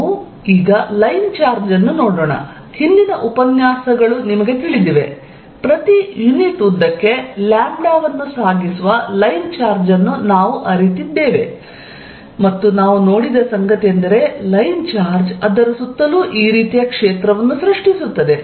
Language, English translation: Kannada, Let us look at a line charge, you know the previous lectures, we did a line charge of carrying a lambda per unit length and what we saw is that, it creates a field like this around it